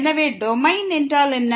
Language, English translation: Tamil, So, what is the Domain